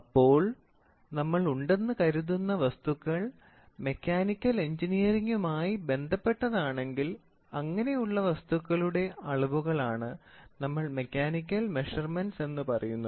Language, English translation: Malayalam, In those things that exists are related to Mechanical Engineering, then the determination of such amounts are referred as mechanical measurements, ok